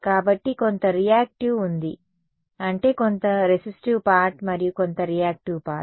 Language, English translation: Telugu, So, there is some reactive I mean some resistive part and some reactive part ok